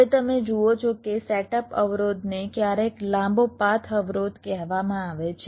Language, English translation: Gujarati, now, you see, setup constraint is sometimes called long path constraint